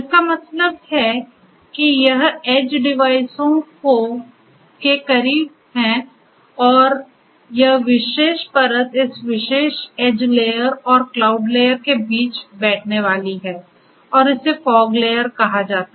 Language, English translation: Hindi, That means closer to this edge devices and this particular layer is going to sit between this particular edge layer and the cloud layer and that is called the fog layer